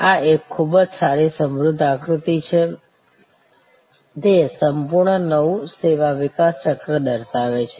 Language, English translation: Gujarati, This is a very good rich diagram; it shows more or less the entire new service development cycle